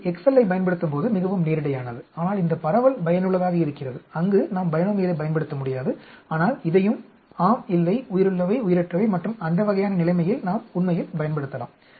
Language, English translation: Tamil, It is quite straight forward using the excel, but this distribution is useful, where we cannot use binomial, but this also has like yes, no, live, dead and that sort of situation we can use actually